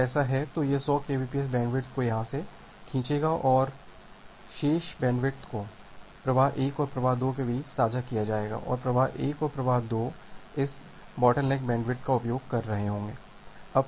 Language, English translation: Hindi, If that is the case, it will drag this 100 kbps bandwidth from here and then the remaining bandwidth will be shared between flow 1 and flow 2, and flow 1 and flow 2 are utilizing both this bottleneck bandwidth